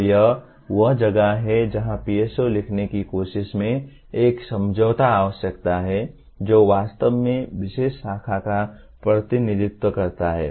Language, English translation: Hindi, So that is where a compromise is required in trying to write the PSOs that truly represent the particular branch